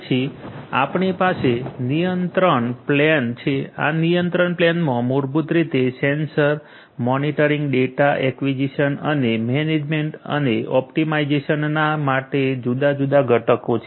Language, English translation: Gujarati, Then you have the control plane, this control plane basically has different components, components for sensor monitoring, data acquisition and management and optimization